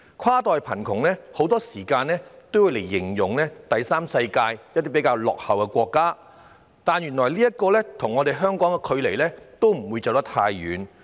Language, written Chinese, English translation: Cantonese, "跨代貧窮"一詞很多時候會用來形容第三世界落後國家的情況，但原來亦離香港不遠。, While the term cross - generational poverty is often used to describe the situation of backward third - world countries this poverty issue is not far from Hong Kong